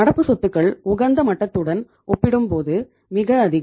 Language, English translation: Tamil, Then the current assets are too much as compared to the optimum level